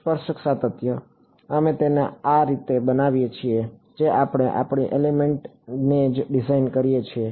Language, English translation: Gujarati, Tangential continuity; we have building it into the way we design the elements itself